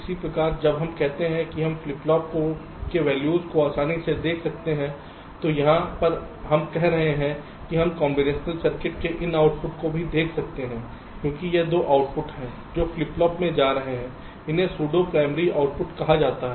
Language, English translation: Hindi, similarly, when we say we can observe the values of flip flops easily here, as if we are saying that we can, we can observe these outputs of combinational circuits also, because it is these outputs that are going to the flip flop